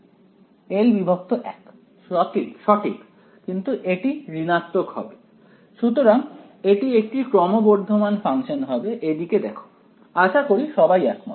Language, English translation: Bengali, Right, so it is, but it is going to be positive right, so it is going to be a increasing function over here is that look right everyone agrees